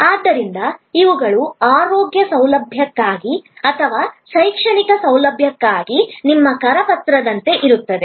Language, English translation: Kannada, So, these will be like your brochure for a health care facility or for an educational facility